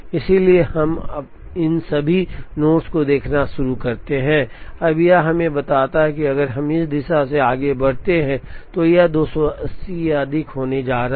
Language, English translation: Hindi, So, we now start looking at all these nodes, now this tells us that, if we move from this direction, it is going to be 280 or more